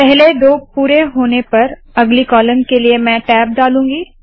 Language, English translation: Hindi, First two are over then I put a tab to indicate the next column